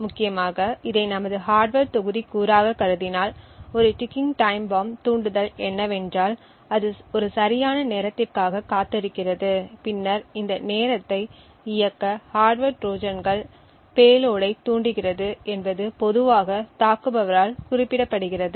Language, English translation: Tamil, Essentially if we consider this as our hardware module what a ticking time bomb trigger does is that it waits for a fix time and then triggers the hardware Trojans payload to execute this time is typically specified by the attacker